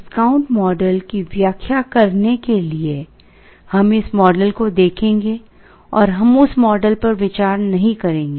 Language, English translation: Hindi, In order to explain the discount model, we will be looking at this model and we will not be considering this model